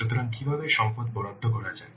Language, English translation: Bengali, So how to allocate the resources